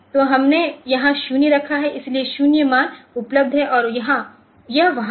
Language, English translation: Hindi, So, we have put in 0 here so 0 values are available and this is there